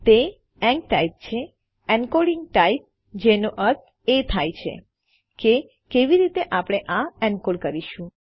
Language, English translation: Gujarati, Its enctype, encoding type which means how we are going to encode this